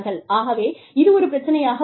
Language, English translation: Tamil, So, that could be a problem